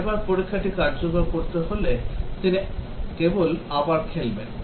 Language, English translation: Bengali, Next time the test has to be executed he just replay that